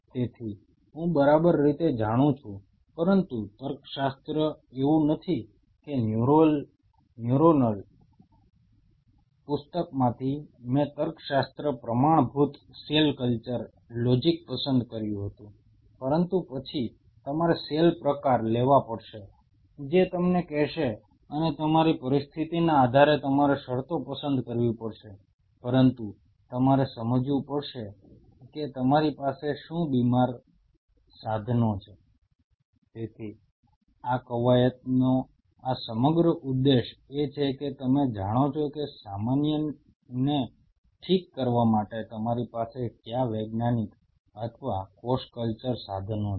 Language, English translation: Gujarati, So, I know exactly how, but the logics it is not that from the neuronal book I picked up the logic logics were standard cell culture logic, but then you have to take a cell type to tell you and based on your situation you will have to pick up the conditions and, but you have to understand what all be sick tools you have